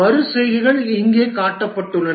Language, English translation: Tamil, The iterations are shown here